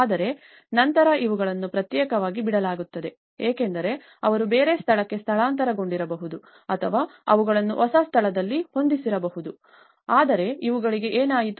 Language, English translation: Kannada, But then these are left isolated because they might have moved to other place or they might have been adjusted to in a new place but what happened to these